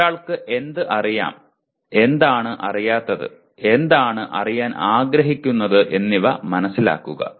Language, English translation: Malayalam, Understanding what one knows and what one does not know and what one wants to know